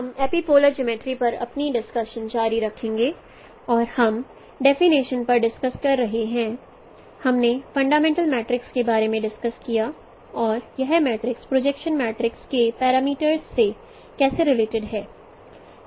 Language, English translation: Hindi, We will continue our discussion on epipolar geometry and we are discussing the definition we discussed about fundamental matrix and how this matrix is related with the parameters of projection matrices